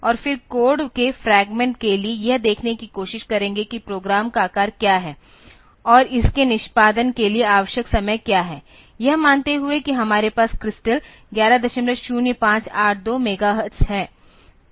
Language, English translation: Hindi, And then for the code fragment will try to see what is the size of the program and what is the time needed for its execution; assuming that the crystal that we have is 11